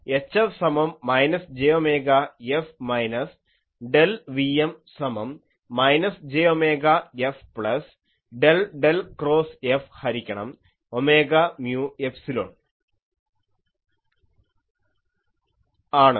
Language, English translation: Malayalam, So, E F will be known and H F, I can find out is equal to minus j omega F minus del Vm is equal to minus j omega F plus del del cross F by j omega mu epsilon